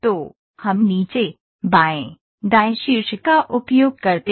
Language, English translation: Hindi, So, we use top the bottom, left, right ok